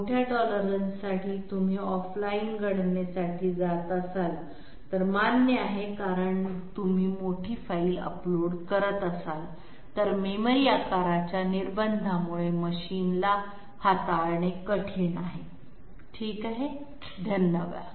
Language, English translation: Marathi, For large tolerance values have to be accepted if you go for off line calculations because if you are uploading a huge file it is difficult for the machine to handle because of memory size restriction okay, thank you